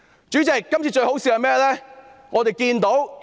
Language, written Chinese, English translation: Cantonese, 主席，今次最可笑的是甚麼呢？, It is really ridiculous! . President what is the most absurd today?